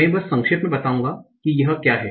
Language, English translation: Hindi, I'll just briefly tell what is this